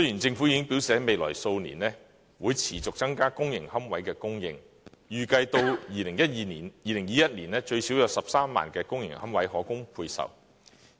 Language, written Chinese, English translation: Cantonese, 政府已經表示在未來數年會持續增加公營龕位的供應，預計至2021年最少有13萬公營龕位可供配售。, The Government has already indicated that it will continuously increase the supply of public niches in the coming years and it is estimated that at least 130 000 public niches will be available for allocation by 2021